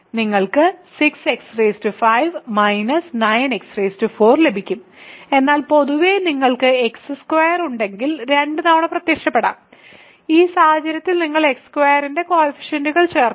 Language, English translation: Malayalam, So, you get 6 x 5 minus 9 x 4, but in general if you have x squared may appear twice in which case you will just add the coefficients of x squared